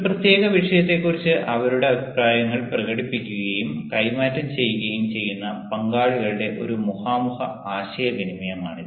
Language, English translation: Malayalam, it is your face to face communication among participants who express and exchange their views on a particular topic, the topic